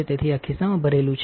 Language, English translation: Gujarati, So, this is loaded with in the pocket